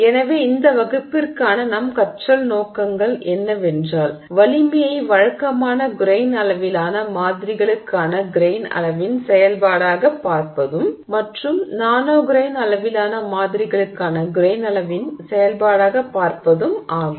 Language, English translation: Tamil, So, our learning objectives for this class are to look at the strength as a function of grain size for conventional grain sized samples to also look at the strength as a function of grain size for nano grain sized samples